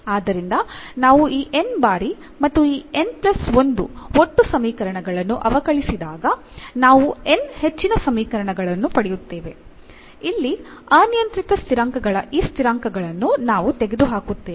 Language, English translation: Kannada, So, we will get n more equations when we differentiate this n times and out of this n plus 1 total equations we will eliminate these constant terms of the parameters here